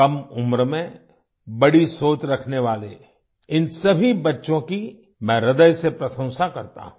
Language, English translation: Hindi, I heartily appreciate all these children who are thinking big at a tender age